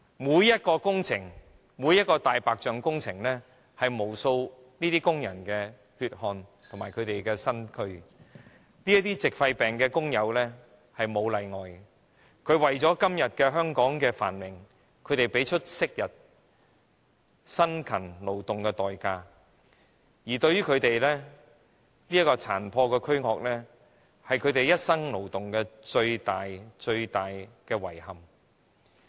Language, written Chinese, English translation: Cantonese, 每項工程、每項"大白象"工程，是由無數工人的血汗和身軀建成的。這些矽肺病的工友沒有例外地作出貢獻，他們為了香港今天的繁榮，昔日付出辛勤勞動的代價，而他們殘破的軀殼是他們一生勞動的最大遺憾。, Each and every project or white elephant project is built out of the sweat and toil of innumerable workers and these workers suffering from pneumoconiosis are no exception in making contributions . For the prosperity of Hong Kong today they have paid the price with their toil in the past while their frail bodies form the greatest regret of their labour for the whole life